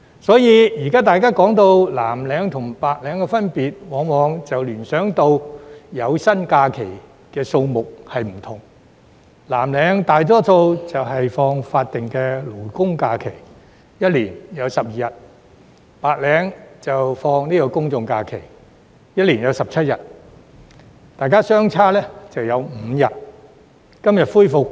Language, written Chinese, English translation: Cantonese, 因此，現時大家談到藍領和白領的分別，往往聯想到有薪假期的日數不同：藍領大多數放取法定假日，每年有12日；白領放取公眾假期，每年有17日，兩者相差5日。, Therefore when people talk about the difference between blue - collar workers and white - collar workers nowadays they often think of the difference in the number of paid holidays Blue - collar workers are usually entitled to 12 days of statutory holidays SHs each year and white - collar workers are entitled to 17 days of general holidays GHs each year representing a difference of five days